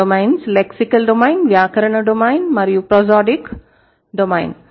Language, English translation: Telugu, One is your lexical subsystem, grammatical subsystem, and prosodic subsystem